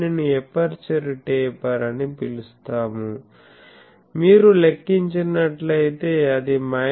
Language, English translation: Telugu, So, we can say this one this is called aperture taper that if you calculate that will become minus 10